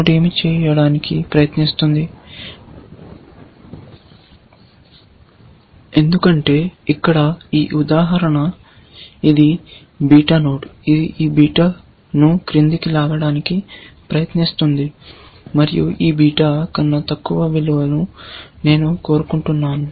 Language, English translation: Telugu, What will the node try to do, because this example here, it is a beta node; it is going to try to pull down this beta and say, I want a value slightly, lower than this beta